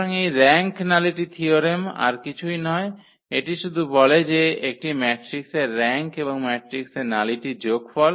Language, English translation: Bengali, So, this rank nullity theorem is nothing but it says that the rank of a matrix plus nullity of the matrix